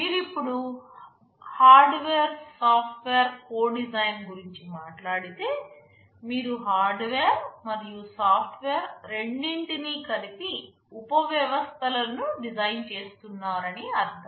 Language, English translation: Telugu, You talk now about something called hardware software co design, meaning you are designing both hardware and software subsystems together